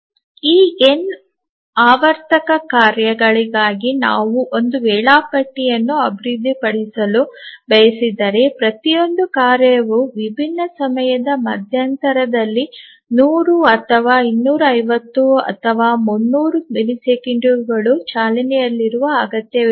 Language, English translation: Kannada, Let me rephrase that if we want to develop a schedule for this n periodic tasks, each task requiring running at different time intervals, some may be 100, some may be 250, some may be 300 milliseconds etc